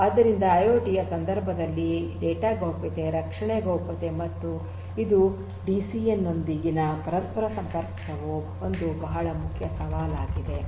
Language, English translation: Kannada, So, privacy of the data privacy protection in the context of IIoT and it is interconnectivity with DCN is an important challenge